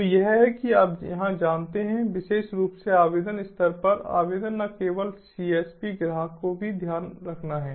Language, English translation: Hindi, so it is, you know, here specifically the application at the application level, not just the csp, the customer also has to take care